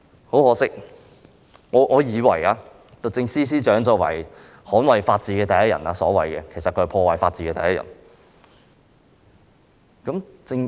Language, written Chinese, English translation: Cantonese, 很可惜，我以為律政司司長是所謂捍衞法治的第一人，但其實她是破壞法治的第一人。, Regrettably the Secretary for Justice whom I considered to be the so - called foremost defender of the rule of law is actually the foremost destroyer of the rule of law